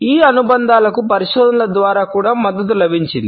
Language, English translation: Telugu, These associations have also been supported by research